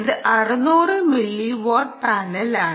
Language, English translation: Malayalam, we said it's a six hundred milliwatt panel